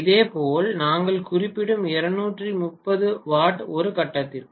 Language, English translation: Tamil, Similarly, 230 watt we are mentioning is per phase